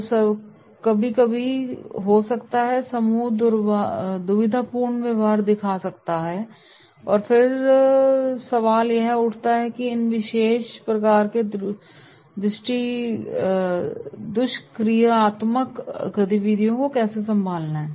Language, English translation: Hindi, So there might be sometimes the group might be the dysfunctional behaviour may show and then the question arises that is how to handle these particular types of dysfunctional activities